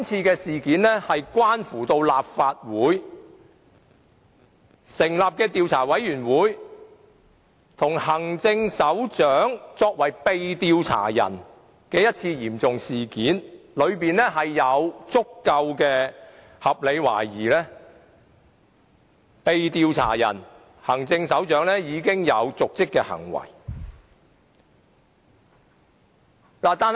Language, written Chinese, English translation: Cantonese, 這項議案關乎立法會成立的專責委員會與行政長官作為被調查者的嚴重事件，當中有足夠的合理懷疑被調查的行政長官有瀆職行為。, This motion is concerned with a serious matter related to the Select Committee under the Legislative Council with the Chief Executive being the subject of inquiry . There is sufficient evidence to support a reasonable suspicion that the Chief Executive the subject of enquiry has committed dereliction of duty